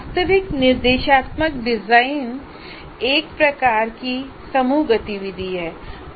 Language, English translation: Hindi, Now what happens, the actual instruction design becomes a kind of a group activity